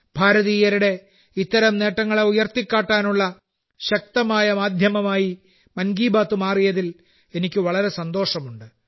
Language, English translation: Malayalam, I am glad that 'Mann Ki Baat' has become a powerful medium to highlight such achievements of Indians